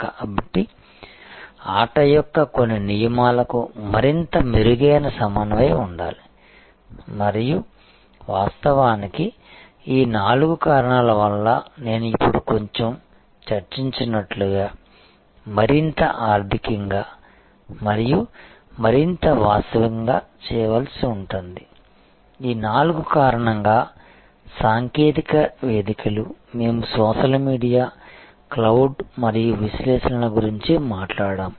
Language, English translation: Telugu, So, there has to be much better coordination much better adherence to certain rules of the game and that of course, as I discussed a little while back is now, becoming more economic to do and more real time to do, because of these four technology platforms, that we talked about social media, cloud and analytics